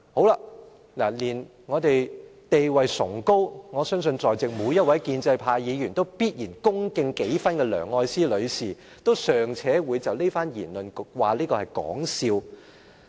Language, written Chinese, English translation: Cantonese, 連地位崇高，我相信在席每位建制派都必然恭敬幾分的梁愛詩女士，都尚且會就這番言論是說笑。, Even Ms Elsie LEUNG a person of such a high status whom every pro - establishment Member will respect could crack a joke on this issue